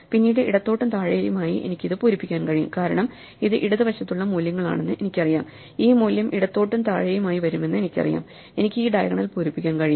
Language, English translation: Malayalam, Then to the left and below, I can fill in this because I know it is values to the left, I know this value to the left and below, so I can fill up this diagonal